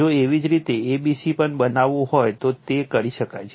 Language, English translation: Gujarati, If you want to make a c b also, it can be done